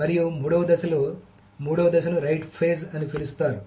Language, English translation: Telugu, And in the third phase, the third phase is simply called the right phase